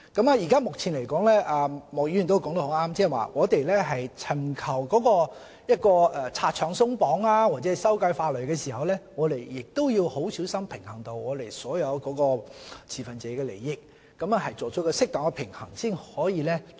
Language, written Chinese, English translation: Cantonese, 莫議員說得對，我們尋求拆牆鬆綁或修改法例時，要很小心平衡本港所有持份者的利益，作出適當的平衡，才可以做到。, Mr MOK is right in saying that when we try to lift restrictions or amend the law we must carefully weigh the interests of all stakeholders in Hong Kong and strike a proper balance before we can achieve the aim